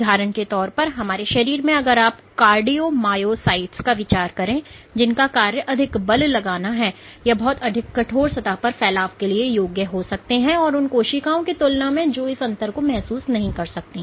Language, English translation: Hindi, So, for example, within our body if you think of cardiomyocytes, whose job is to exert a lot of forces they might be able to spread much more on a stiff surface compared to a cell which does not have cannot sense this difference